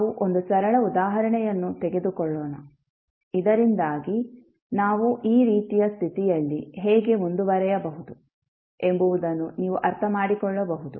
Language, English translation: Kannada, Let us take one simple example, so that you can understand how we can proceed for this kind of condition